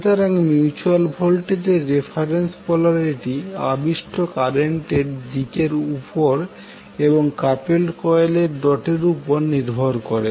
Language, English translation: Bengali, Thus the reference polarity of the mutual voltage depends upon the reference direction of inducing current and the dots on the couple coil